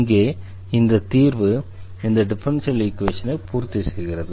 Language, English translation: Tamil, So, this is the solution this was satisfy this differential equation